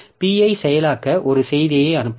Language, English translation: Tamil, So, send a message to process P